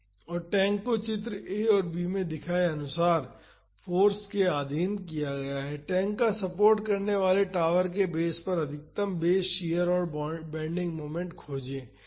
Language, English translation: Hindi, And, the tank is subjected to forces as shown in figure a and b, find the maximum base shear and bending moment at the base of the tower supporting the tank